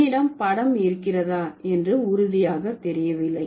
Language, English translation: Tamil, So, I am not sure if I have the picture over here